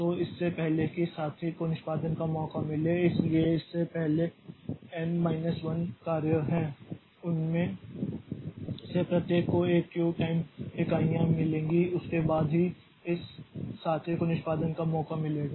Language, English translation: Hindi, So, before this fellow gets a chance for execution so before this there are n minus one jobs there are n minus one jobs before this so each of them will get a Q time units after that only this fellow will get a chance for execution